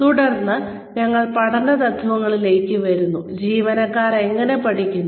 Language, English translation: Malayalam, Then, we come to the principles of learning, how do employees learn